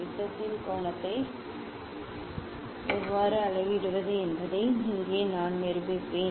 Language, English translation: Tamil, here I demonstrate how to measure the angle of prism